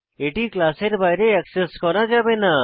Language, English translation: Bengali, It cannot be accessed outside the class